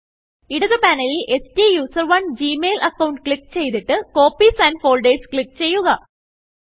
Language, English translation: Malayalam, From the left panel, click on the STUSERONE gmail account and click Copies and Folders